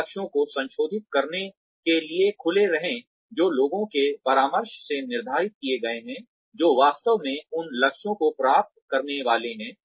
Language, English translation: Hindi, Be open to, revising the targets, that have been set, in consultation with the people, who are actually going to achieve those targets